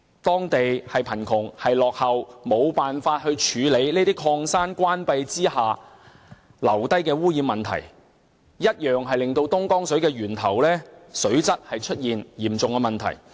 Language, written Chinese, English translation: Cantonese, 當地既貧窮又落後，無法處理這些礦山關閉後遺留的污染問題，以致東江水的源頭水質出現嚴重問題。, The poverty - stricken and backward area was unable to deal with the contamination problem after the closure of mines in the area thus a serious problem has cropped up at the source of the Dongjiang water